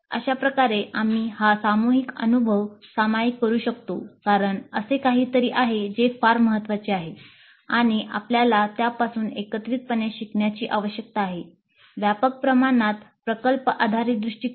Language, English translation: Marathi, And that way we can share this collective experience because this is something that is seen as very important and we need to collectively learn from this, the project based approach on a wider scale